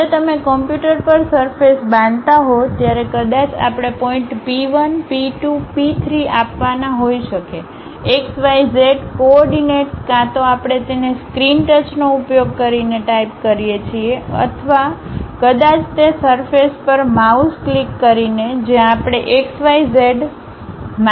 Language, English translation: Gujarati, When you are constructing surface on computer, perhaps we may have to give points P 1, P 2, P 3; x, y, z coordinates either we type it using stylus touch the screen or perhaps with mouse click on that surface, where we will give x, y, z information